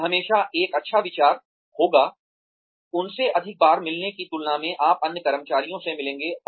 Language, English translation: Hindi, It will always be a good idea, to meet them more often, than you would meet the other employees